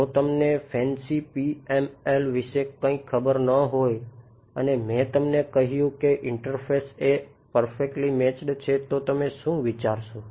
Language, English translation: Gujarati, If you did not know anything about fancy PMI and I told you interface is perfectly matched what would you think